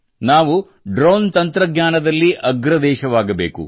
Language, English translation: Kannada, We have to become a leading country in Drone Technology